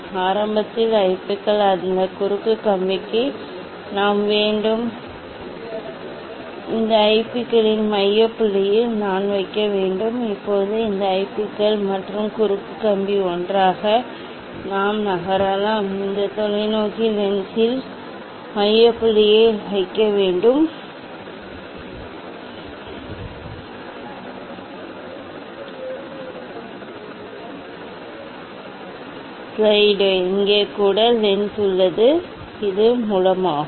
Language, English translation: Tamil, initially IPs we have to that that cross wire, I have to put at the focal point of this IPs Now, this IPs and the cross wire together, we can move; we can move to place the focal point of these of these telescope lens, then image you will form at the cross wire and we will be able to see that one, And here also lens is there, and this is source